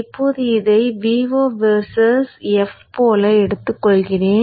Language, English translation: Tamil, Now let me take this up like that V0 versus F